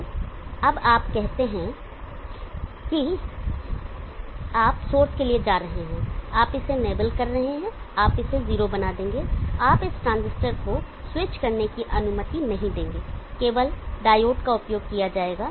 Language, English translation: Hindi, So now let us say that you are going to source you will be enabling this you will make this 0 you will not allow this transistor to switch only the diode will be used, so this is switching power is put into the CT